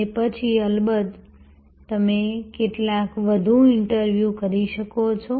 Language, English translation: Gujarati, And then of course, you can do some further interviews